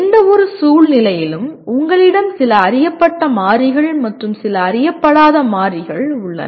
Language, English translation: Tamil, That means in any situation you have some known variables and some unknown variables